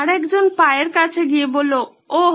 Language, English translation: Bengali, The other one went on to the foot and said, Oh